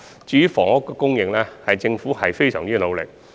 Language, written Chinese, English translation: Cantonese, 至於房屋供應方面，政府已非常努力。, As for housing supply the Government has been working very hard